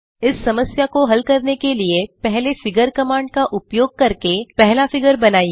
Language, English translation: Hindi, To solve this problem we should first create the first figure using the figure command